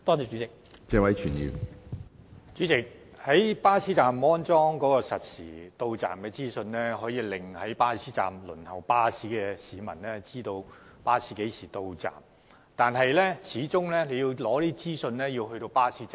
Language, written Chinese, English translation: Cantonese, 主席，在巴士站安裝實時巴士到站資訊顯示屏，可讓身在巴士站輪候的市民知道巴士何時到站，但要取得這些資訊，始終必須身處巴士站。, President with the installation of real - time bus arrival information display panels at bus stops waiting passengers there will be informed of the bus arrival time but in order to obtain the information they should be physically in bus stops